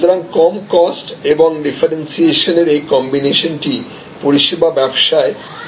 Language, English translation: Bengali, So, this combination of low cost and differentiation is almost becoming the norm in service businesses